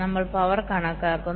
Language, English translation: Malayalam, so we are estimating power